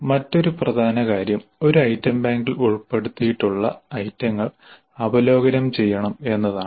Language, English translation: Malayalam, The another important aspect is that the items included in an item bank must be reviewed